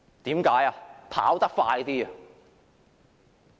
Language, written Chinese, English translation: Cantonese, 因為要跑得快一點。, Because we need to run faster